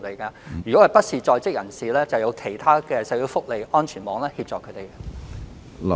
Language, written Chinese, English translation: Cantonese, 對於非在職人士，我們會利用其他社會福利安全網援助他們。, For those who are not in employment other social welfare safety nets are available